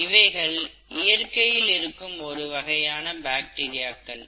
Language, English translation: Tamil, This could be one of the bacteria that is present in nature